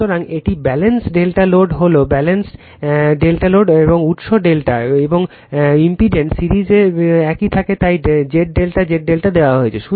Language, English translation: Bengali, So, this is your balanced delta load is delta and source is also delta and series of impedance remains same right So, Z delta Z delta is given right